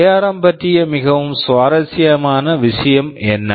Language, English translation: Tamil, Now what is so interesting about ARM